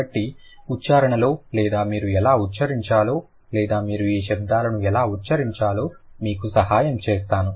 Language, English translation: Telugu, So, let me read it, let me help you with the pronunciation or how you should utter or how you should pronounce these sounds